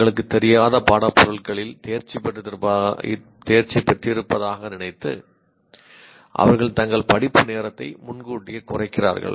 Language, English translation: Tamil, They shorten their study time prematurely thinking that they have mastered course material that they barely know